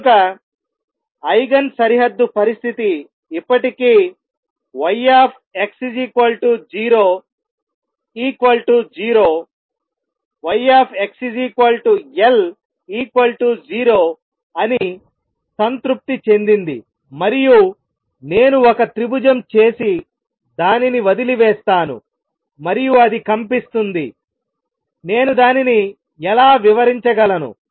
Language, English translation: Telugu, So, Eigen the boundary condition is still satisfied that y at x equals to 0 is 0 y at x equals L it is still 0 and I just make a triangle and leave it and it vibrates; how do I describe that